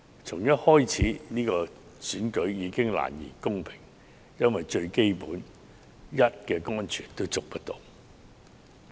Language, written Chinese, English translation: Cantonese, 從一開始，這場選舉已難言公平，因為連最基本的人身安全亦無法得到保證。, The election is not a fair one from the start because the Government cannot even guarantee the most basic element which is the personal safety of the people